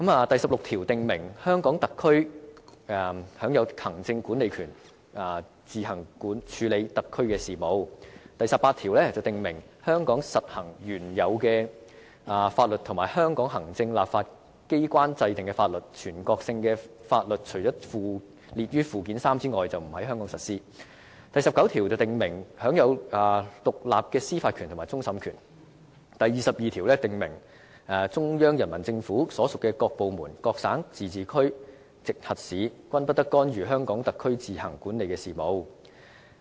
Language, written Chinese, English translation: Cantonese, 第十六條訂明，香港特區享有行政管理權，自行處理特區的行政事務；第十八條訂明香港特區實行原有法律和香港立法機關制定的法律，全國性法律除列於附件三者外，不在香港實施；第十九條訂明香港特區享有獨立的司法權和終審權；第二十二條訂明中央人民政府所屬各部門、各省、自治區、直轄市均不得干預香港特區自行管理的事務。, National laws shall not be applied in the HKSAR except for those listed in Annex III to this Law . Article 19 provides that the HKSAR shall be vested with independent judicial power including that of final adjudication . Article 22 specifies that no department of the Central Peoples Government and no province autonomous region or municipality directly under the Central Government may interfere in the affairs which the HKSAR administers on its own